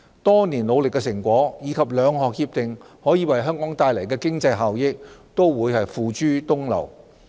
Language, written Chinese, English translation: Cantonese, 多年努力的成果，以及兩項協定可為香港帶來的經濟效益，都會付諸東流。, In that case the hard - earned achievements of so many years and the economic benefits that would be brought by the two agreements to Hong Kong will go down the drain